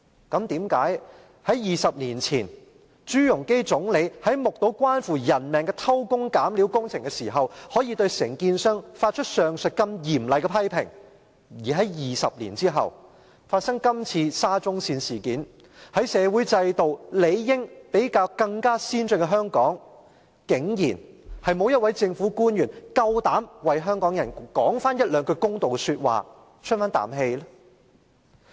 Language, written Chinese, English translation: Cantonese, 但是，為甚麼在20年前，前總理朱鎔基在目睹關乎人命的偷工減料工程時，可以對承建商發出上述如此嚴厲的批評，而在20年後發生這次沙中線事件，在社會制度理應比較先進的香港，竟然沒有一位政府官員敢為香港人說一兩句公道說話，出一口氣呢？, Twenty years ago when former Premier ZHU Rongji saw the jerry - built projects that affected peoples lives he raised strong criticisms against contractors; 20 years later when the Shatin to Central Link SCL incident happened in Hong Kong a place where the social system is supposedly more advanced how come no government official dares make some fair comments and seek justice for Hong Kong people?